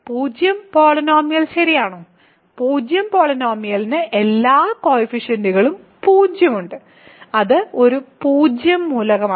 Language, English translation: Malayalam, Is the zero polynomial right; so, the zero polynomial has all coefficients 0, that is a zero element